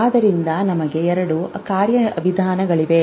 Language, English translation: Kannada, So, there are two mechanisms